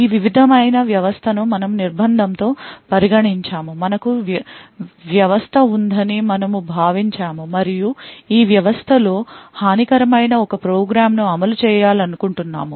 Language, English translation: Telugu, With the confinement we had considered a system like this, we had considered that we have system, and in this system, we wanted to run a program which may be malicious